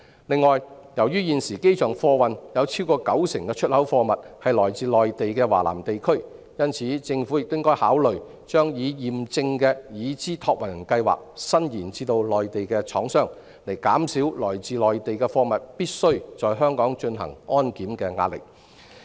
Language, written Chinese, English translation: Cantonese, 此外，由於現時機場貨運有超過九成的出口貨物來自內地華南地區，因此，政府亦應考慮把"已驗證的"已知託運人計劃伸延至內地廠商，以減少來自內地貨物必須在香港進行安檢的壓力。, Moreover as currently over 90 % of export goods consigned via the airport originate from Southern China on the Mainland the Government should also consider extending the validation scheme of Known Consignors to Mainland manufacturers so as to reduce the pressure generated by the requirement that goods from the Mainland must undergo security screening in Hong Kong